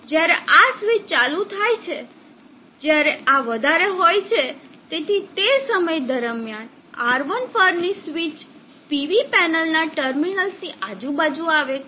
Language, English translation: Gujarati, Now when this switch is on when this is high, so during that time the switched on R1 comes across the terminals of the PV panel